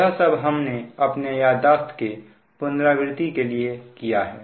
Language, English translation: Hindi, this is to just brush up our memories